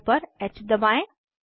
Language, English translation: Hindi, Press H on the keyboard